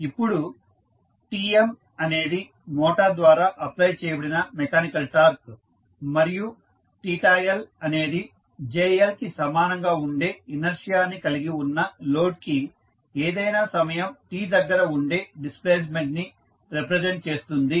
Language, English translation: Telugu, Now, Tm is the mechanical torque applied by the motor and theta L is the displacement at any time t for the load which is having inertia equal to jL